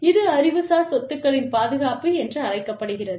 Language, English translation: Tamil, This is called, protection of intellectual property